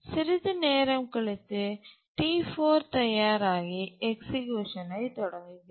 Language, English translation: Tamil, And after some time T4 becomes ready, it starts executing